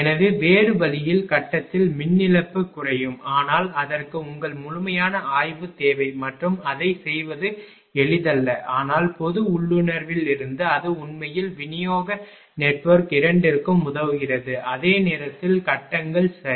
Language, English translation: Tamil, So, in other way there will be reduction in the power loss in the grid, but that is a total your completes ah studies required for that and it is not easy to do that, but from general intuition it helps actually both distribution network of course, at the same time it grids right